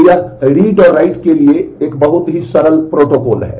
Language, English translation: Hindi, So, this is a very simple protocol for read and write